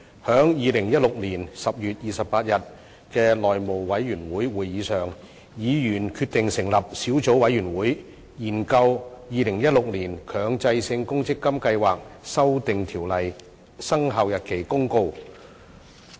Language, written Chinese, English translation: Cantonese, 在2016年10月28日的內務委員會會議上，議員決定成立小組委員會，研究《〈2016年強制性公積金計劃條例〉公告》。, At the House Committee meeting on 28 October 2016 Members decided to form a Subcommittee for the purpose of studying the Mandatory Provident Fund Schemes Amendment Ordinance 2016 Commencement Notice